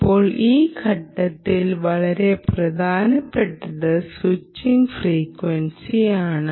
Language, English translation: Malayalam, now what is very important in this stage, at this stage, is what is the switching frequency